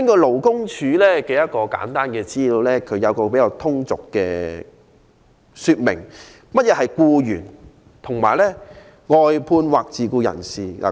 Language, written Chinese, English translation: Cantonese, 勞工處有一份簡單的資料，以比較通俗的方式說明何謂僱員、外判人士或自僱人士。, The Labour Department has prepared an easy guide which explains how to distinguish an employee from a contractor or self - employed person in a simple way